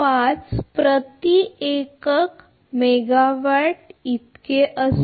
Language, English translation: Marathi, 005 per unit megawatt